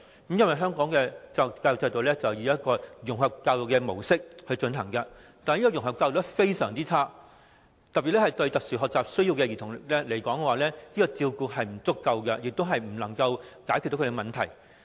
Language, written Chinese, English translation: Cantonese, 由於現時香港採用的融合教育模式實在做得非常差劣，尤其是對有特殊學習需要的兒童而言，這種照顧並不足夠，亦不能解決他們的問題。, At present a very poor job is done of the integrated education mode adopted in Hong Kong in particular for children with special education needs SEN this kind of care is inadequate nor can it solve their problems